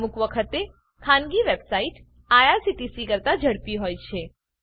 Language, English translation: Gujarati, Sometimes private websites are faster than irctc